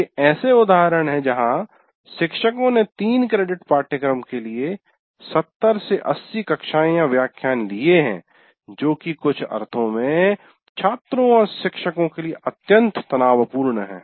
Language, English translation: Hindi, There are instances where teachers have taken 70, 80 lectures for a three credit course, which is, which in some sense extremely stressful to the students to do that